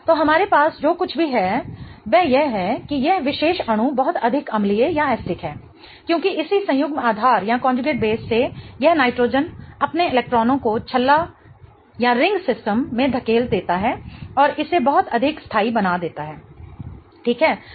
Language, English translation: Hindi, So, what we have here is this particular molecule is much more acidic because the corresponding conjugate base allows that nitrogen to push its electrons into the ring system and make it much more stable